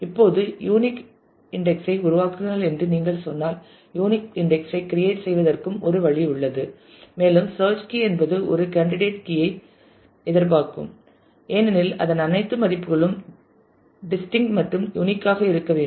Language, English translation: Tamil, Now, there is a way to also express create unique index if you say create unique index and it will expect that the search key is a candidate key because I mean in the sense it all values of that will have to be distinct unique